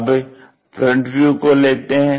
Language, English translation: Hindi, Let us look at front view